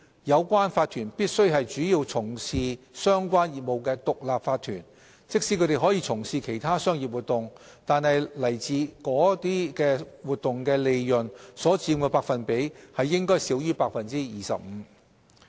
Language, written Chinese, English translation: Cantonese, 有關法團必須是主要從事相關業務的獨立法團，即使它們可從事其他商業活動，但來自該等活動的利潤所佔的百分比應少於 25%。, The corporations should be standalone corporate entities engaging predominately in relevant businesses . Even if they are allowed to engage in other commercial activities the percentage of profits from those activities should be less than 25 %